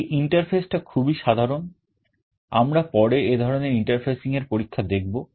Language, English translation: Bengali, The interface is very simple, we shall be seeing this kind of interfacing experiments later